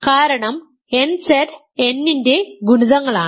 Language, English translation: Malayalam, So, nZ certainly contains n